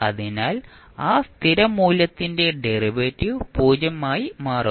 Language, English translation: Malayalam, So, derivative of that constant value becomes 0